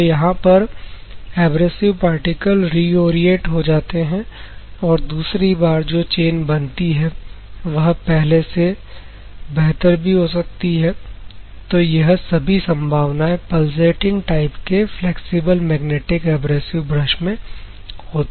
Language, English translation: Hindi, First point, abrasive particles may reorient and the chain in the second time formation maybe better chain or many possibilities are there in the pulsating type of flexible magnetic abrasive brush